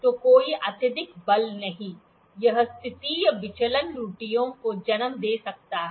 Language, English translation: Hindi, So, no excessive force, it can lead to positional deviation errors